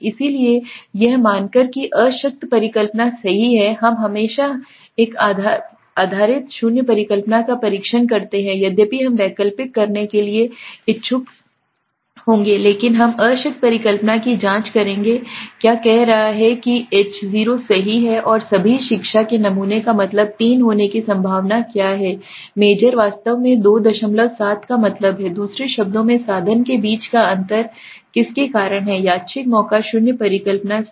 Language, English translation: Hindi, So to assuming that the null hypothesis true right we always test the null hypothesis we always we will although we will interested to have the alternate but we will check the null hypothesis what is saying what is the probability of getting the sample mean 3 if H0 is true and all education majors really have the mean of 2